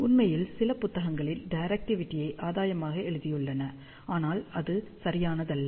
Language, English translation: Tamil, In fact, in some of the books, they have written directivity as gain, but that is not correct at all